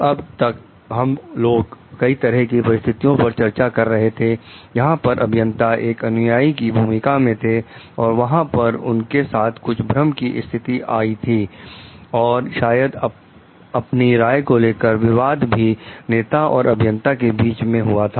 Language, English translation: Hindi, Till now, we were discussing many situations, where the engineer was in the followers role and he there maybe there are certain dilemmas, and maybe conflicts of opinions happening between the leader and the engineer